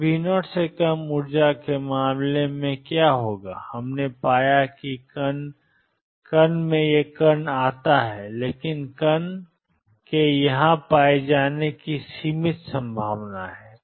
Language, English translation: Hindi, than V 0 is what we found is particle comes in particle goes back, but there is a finite probability of the particle being found here